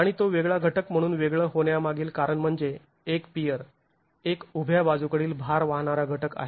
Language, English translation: Marathi, And the reason why it is isolated as a different element is a pier is a vertical lateral load carrying element